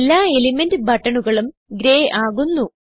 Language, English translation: Malayalam, All element buttons turn to grey